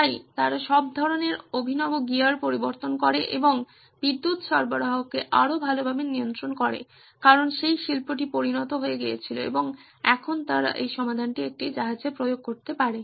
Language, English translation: Bengali, So they introduced all sorts of fancy gear and control the power supply much better because that industry had matured and now they could apply this solution back on to a ship